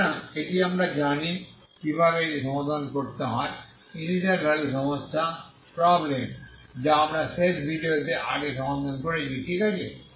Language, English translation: Bengali, So this we know how to solve this is the initial value problem that we solved earlier last video, okay